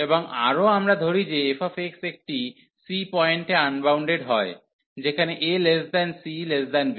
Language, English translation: Bengali, And further we let that f x is unbounded at a point c, where this c is a point between a and b